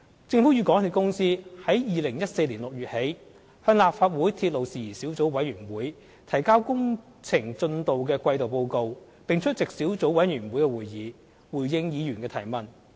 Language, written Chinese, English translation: Cantonese, 政府與港鐵公司自2014年6月起，向立法會鐵路事宜小組委員會提交工程進度的季度報告，並出席小組委員會會議，回應議員的提問。, Since June 2014 the Government and MTRCL have submitted quarterly reports on the works progress to the Subcommittee on Matters Relating to Railways of the Legislative Council and attended the subcommittees meetings in response to queries from the Members